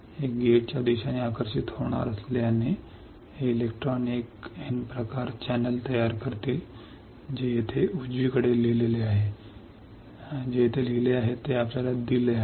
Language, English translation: Marathi, Since this will get attracted towards the gate, these electrons will form a N type channel which is written over here right, which is written over here you see this is what is given